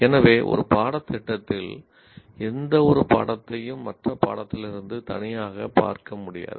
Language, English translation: Tamil, So, what happens is any single course in a program cannot be seen in isolation from the others